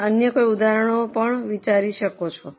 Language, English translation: Gujarati, Can you think of any other examples